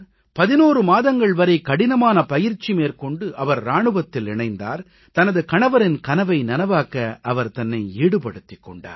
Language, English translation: Tamil, She received training for 11 months putting in great efforts and she put her life at stake to fulfill her husband's dreams